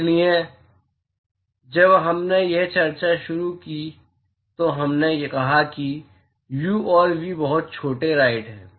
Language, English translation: Hindi, So, when we started this discussion we said that u and v are very small right